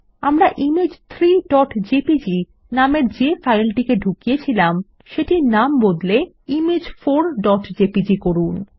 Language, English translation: Bengali, Lets rename the image Image 3.jpg, that we inserted in the file to Image4.jpg